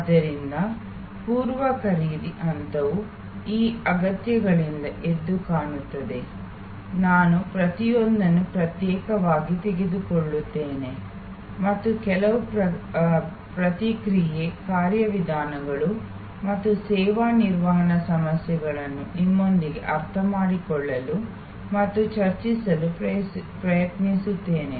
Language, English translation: Kannada, So, the pre purchase stage is highlighted by these set of needs, I will take each one individually and try to understand and discuss with you some of the response mechanisms and service management issues